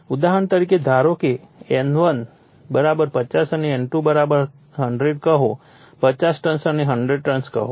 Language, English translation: Gujarati, For example, suppose say N1 = say 50 right and N2 = say your 100 right, 50 turns and 100 turns